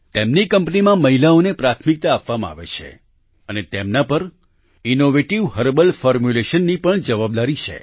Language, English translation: Gujarati, Priority is given to women in this company and they are also responsible for innovative herbal formulations